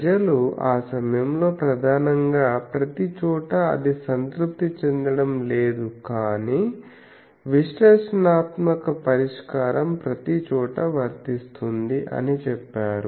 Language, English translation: Telugu, That time mainly people said that due to these that everywhere it is not getting satisfied rather than analytical solution satisfied it everywhere